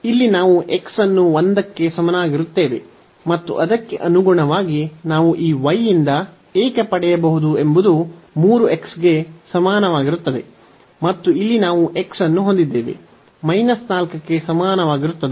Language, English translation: Kannada, So, here we have x is equal to 1 and correspondingly why we can get from this y is equal to 3 x and here we have x is equal to minus 4